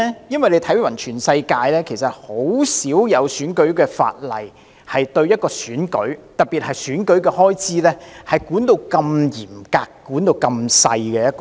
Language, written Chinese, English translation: Cantonese, 因為縱觀全世界，很少地方的選舉法例會對選舉的管理——特別是選舉開支——訂明如此嚴謹、細緻的規定。, Because very few places in the world would have electoral legislation that sets out such stringent and meticulous regulations on the management of elections in particular election expenses